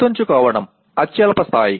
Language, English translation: Telugu, Remember is the lowest level